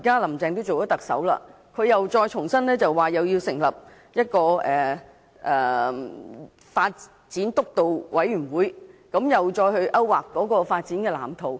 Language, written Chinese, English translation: Cantonese, "林鄭"現在已當上特首，又說要重新成立基層醫療發展督導委員會，再次勾劃發展藍圖。, Carrie LAM who is now the Chief Executive said a steering committee on primary health care development will be established to draw up a development blueprint once again